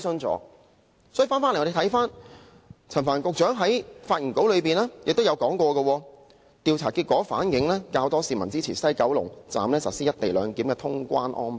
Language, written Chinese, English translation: Cantonese, 話說回頭，我們看到陳帆局長在發言稿中，亦提到"調查結果反映較多市民支持於西九龍站實施'一地兩檢'的通關安排"。, Anyway in his speech Secretary Frank CHAN also says survey findings reflect that more people support the implementation of the co - location arrangement at the West Kowloon Station as the clearance procedures